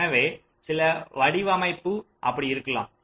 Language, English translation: Tamil, so some design may be like that